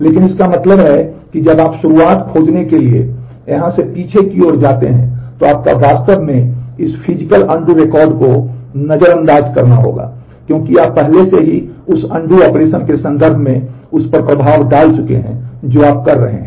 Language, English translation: Hindi, But that means, that when you go backwards from here to find the begin, you will actually have to ignore this physical undo record because you have already given effect to that in terms of the operation undo that you are doing